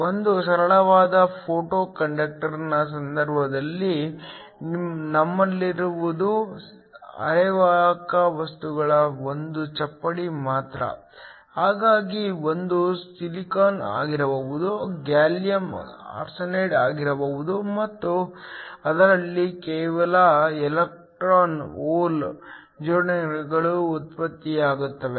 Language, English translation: Kannada, In the case of a simple photo conductor all we had was a slab of a semiconductor material, so it could silicon, it could gallium arsenide and in that just generated electron hole pairs